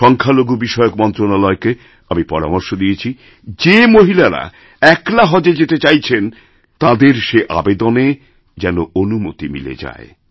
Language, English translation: Bengali, I have suggested to the Ministry of Minority Affairs that they should ensure that all women who have applied to travel alone be allowed to perform Haj